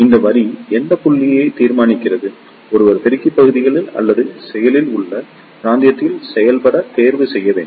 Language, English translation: Tamil, This line decides which point, one should choose to operate in the amplifier region or in active region